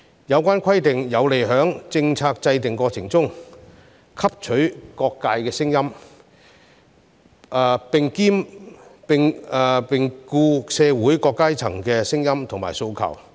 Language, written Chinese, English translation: Cantonese, 有關規定有利在政策制訂過程中汲取各界聲音，兼顧社會各階層的聲音和訴求。, These provisions can help incorporate views from various sectors of the community in the process of policy formulation having regard to the voices and aspirations of various social strata